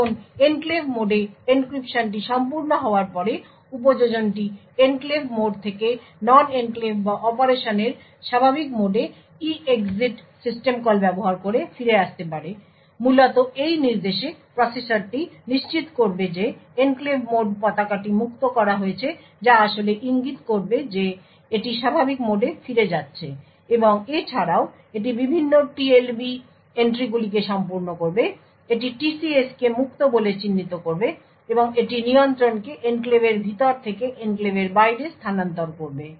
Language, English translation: Bengali, Now after the encryption is complete in the enclave mode the application could return from the enclave mode to the non enclave or the normal mode of operation using the EEXIT system call essentially in this instruction the processor will ensure that the enclave mode flag is cleared which will actually indicate that it is going back to the normal mode and also it will flush the various TLB entries it will mark the TCS as free and it will transfer the control from inside the enclave to outside the enclave